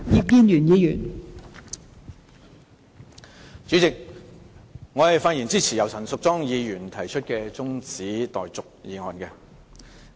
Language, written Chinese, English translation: Cantonese, 代理主席，我發言支持由陳淑莊議員提出的中止待續議案。, Deputy President I rise to speak in support of the adjournment motion moved by Ms Tanya CHAN